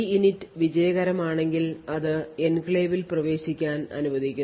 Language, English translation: Malayalam, So, if EINIT is successful it allows the enclave to be entered